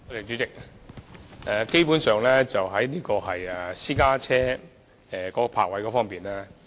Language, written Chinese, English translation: Cantonese, 主席，當局基本上定下了私家車的泊車位數量。, President the authorities basically have set the number of parking spaces for private cars